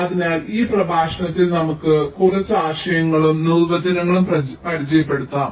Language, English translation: Malayalam, so in this lecture just let us introduce, ah, just ah, few concepts and definitions